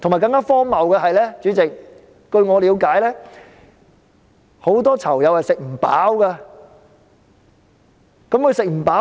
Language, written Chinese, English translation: Cantonese, 更荒謬的是，主席，據我了解，很多囚友是吃不飽的。, What is even more ridiculous Chairman is that to my understanding many inmates do not have enough to eat